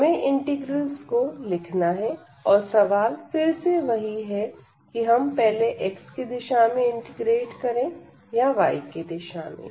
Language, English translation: Hindi, So, we have to write the integrals and again the question that we either we can integrate first in the direction of x or in the direction of y